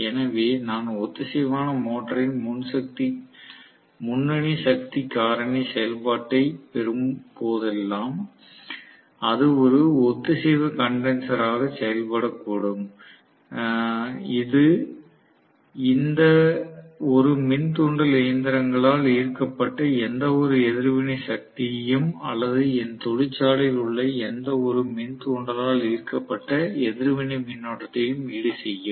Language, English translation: Tamil, So, whenever I am going to have a leading power factor operation of the synchronous motor it may work as a synchronous condenser, which will compensate for any reactive power drawn by any of the other induction machines and so on, or any other inductor in my factory